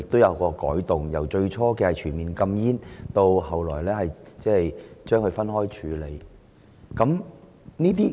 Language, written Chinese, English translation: Cantonese, 政府最初提出全面禁煙，但其後分開處理此事。, The Government initially proposed a total ban on cigarettes but later tackled electronic cigarettes separately